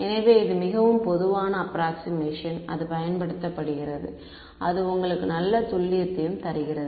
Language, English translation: Tamil, So, this is a very common approximation that is used and that gives you very good accuracy also